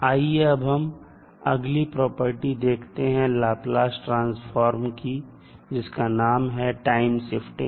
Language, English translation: Hindi, Now, let us see another property of the Laplace transform that is time shift